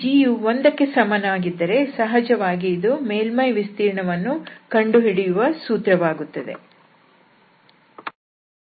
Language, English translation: Kannada, If this g is equal to 1 then naturally we have seen that this formula will reduce to the calculation of the surface area